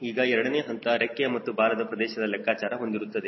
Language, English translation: Kannada, now second step involves calculation of wing and tail area